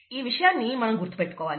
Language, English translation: Telugu, This we need to keep in mind